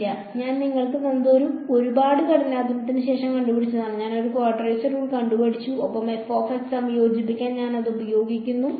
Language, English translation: Malayalam, No, I have given you I have invented after a lot of hard work I have invented a quadrature rule ok and, I use it to integrate f of x